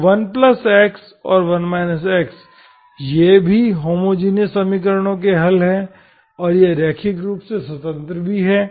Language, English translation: Hindi, So then 1 plus x and 1 minus x, these are also solutions of the homogeneous equations and they are also linearly independent